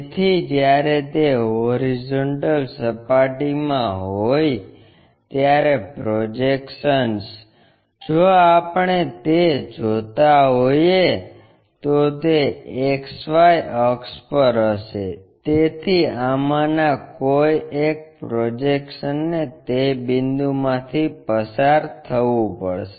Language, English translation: Gujarati, So, when it is in horizontal plane, the projections, if we are seeing that, it will be on XY axis, so one of these projections has to pass through that point